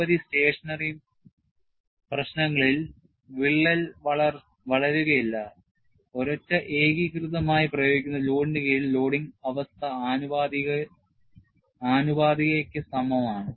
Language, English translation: Malayalam, In a number of stationary problems, that means, crack is not growing, under a single monotonically applied load, the loading condition is close to proportionality